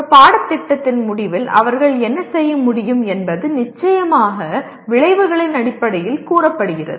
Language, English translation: Tamil, What they should be able to do at the end of a course is stated in terms of course outcomes